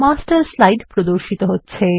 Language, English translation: Bengali, The Master Slide appears